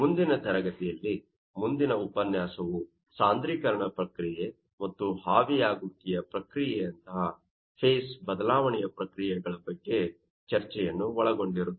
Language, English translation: Kannada, Next class, our next lecture will be discussing that you know, processes of phase change like you know, condensation process, and vaporization process